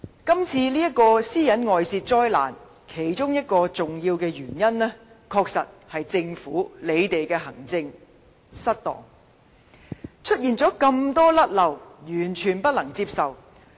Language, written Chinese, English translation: Cantonese, 今次這宗私隱外泄災難，其中一個重要原因，確實是政府在行政上有失當，出現眾多錯失，完全不可接受。, One of the main reasons for this disastrous data breach was the maladministration of the Government . The numerous mistakes committed are simply unacceptable